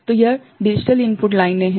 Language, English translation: Hindi, So, this is the digital input lines